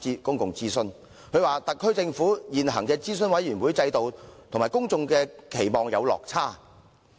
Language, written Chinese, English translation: Cantonese, 報告指出，"特區政府現行諮詢委員會制度與公眾期望有落差。, It is pointed out in the report that the existing advisory committee system of the SAR Government has fallen short of public expectation